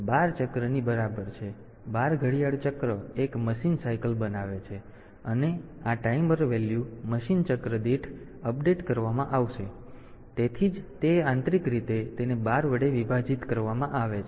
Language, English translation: Gujarati, So, this 12 cycles in case of 8051; 12 clock cycles constitute 1 machine cycle, and this timer value is updated per machine cycle so, that is why so, it is the internally it is divided by 12